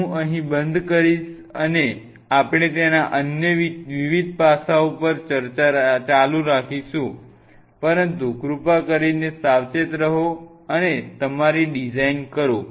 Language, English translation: Gujarati, So, I will close in here and we will continue this discussion on other different aspects of it, but please be careful and do your designing right